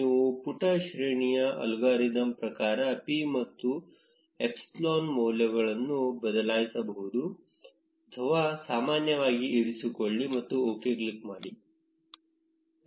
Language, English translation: Kannada, You can change the p and epsilon values as per the page rank algorithm or keep it as default and click on OK